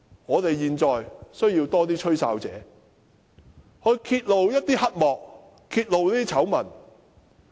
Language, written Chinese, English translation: Cantonese, 我們現在需要更多"吹哨者"揭露黑幕和醜聞。, We need more whistle - blowers to expose dark secrets and scandals